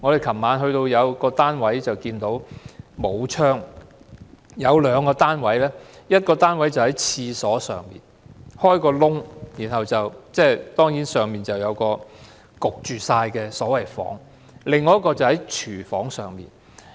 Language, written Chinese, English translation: Cantonese, 昨晚我們參觀過兩個沒有窗戶的單位，一個單位在廁所之上開個洞，上面就是一個悶熱的房間；另一個則建在廚房上面。, We have visited two apartments which were not fitted with a window last night . One of them was a hot and stuffy accommodation on top of a washroom while another one is located on top of a kitchen